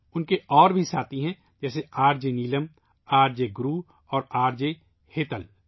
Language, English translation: Urdu, Her other companions are RJ Neelam, RJ Guru and RJ Hetal